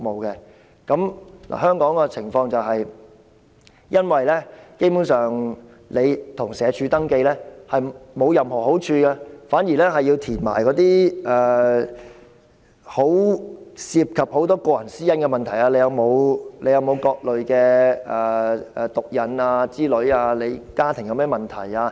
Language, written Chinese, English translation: Cantonese, 而香港的情況是露宿者向社署登記，基本上並無任何好處，反而要填寫很多涉及個人私隱的資料，例如是否有各類毒癮、家庭有甚麼問題等。, However in Hong Kong street sleepers who have registered with SWD basically get no benefits at all and instead are required to provide a lot of personal data private to themselves such as whether they are addicted to any kind of drugs and what problems their families have